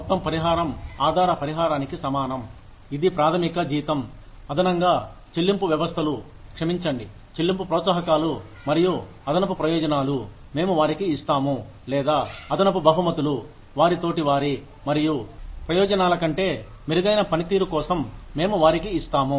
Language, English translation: Telugu, Total compensation equals base compensation, which is the basic salary, plus the pay systems, sorry, the pay incentives, plus added benefits, we give to them, or, added rewards, we give to them, for performing better than, their peers, and benefits, the perquisites